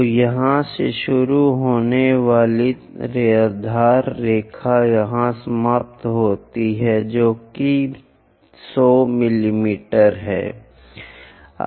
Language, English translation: Hindi, So, the baseline begins here ends here, which is 100 millimeters 100 millimeters is baseline